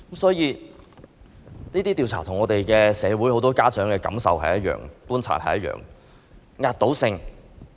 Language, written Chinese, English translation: Cantonese, 這些調查的結果與社會很多家長的感受和觀察是一致。, Such findings are in line with the feelings and observations of many parents